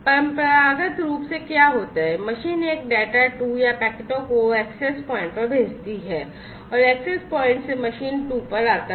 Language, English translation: Hindi, Traditionally what would happen is, the machine one would send the data 2 or the packets to the access point and from the access point it is going to come to the machine 2